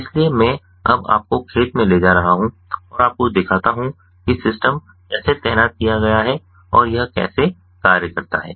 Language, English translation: Hindi, so i am going to now take you to the field and show you how the system is deployed and how it functions at the field